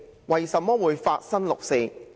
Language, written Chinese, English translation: Cantonese, 為甚麼會發生六四？, Why did the 4 June incident happen?